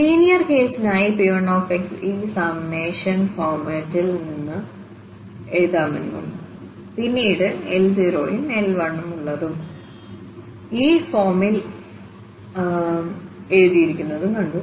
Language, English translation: Malayalam, So, for the linear case we have seen that the P 1 x can be written in this summation format and then we have L 0 and the L 1 written in this form